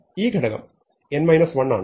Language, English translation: Malayalam, So, n is 0 or 1